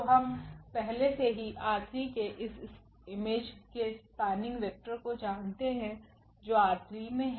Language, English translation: Hindi, So, we know already the spanning vector of this image R 3 which is in R 3